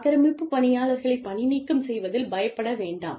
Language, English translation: Tamil, Do not be scared of firing, aggressive employees